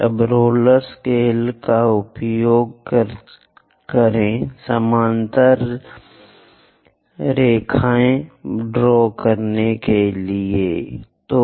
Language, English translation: Hindi, Now use your roller scaler, move parallel, draw dash dot kind of line